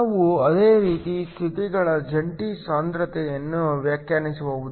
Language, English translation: Kannada, We can similarly define a joint density of states